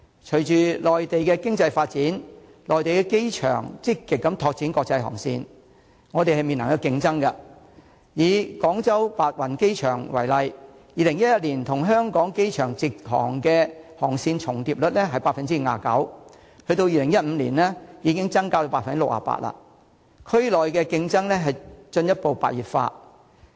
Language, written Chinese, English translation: Cantonese, 隨着內地的經濟發展，內地的機場積極拓展國際航線，香港正面臨競爭，以廣州白雲機場為例 ，2011 年與香港機場的直航航線重疊率為 59%； 在2015年，數字已經增加至 68%， 區內的競爭進一步白熱化。, In tandem with economic development in the Mainland airports on the Mainland have actively developed their international routes and Hong Kong is facing competition from them . Take the Baiyun Airport in Guangzhou as an example . In 2011 59 % of HKIAs direct routes were also served by the Baiyun Airport and in 2015 the figure rose to 68 % showing increasingly fierce competition in the region